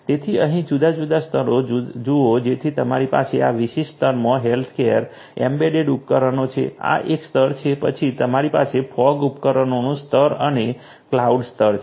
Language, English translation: Gujarati, So, look at the different layers over here so we have the healthcare embedded devices in this particular layer this is layer 1, then you have the fog devices layer and the cloud layer